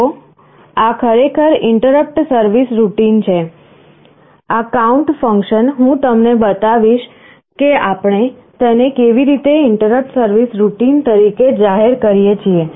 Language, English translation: Gujarati, See, this is actually the interrupt service routine, this count function, I will show you how we declare it as an interrupt service routine